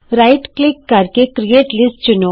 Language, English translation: Punjabi, Right Click and say create List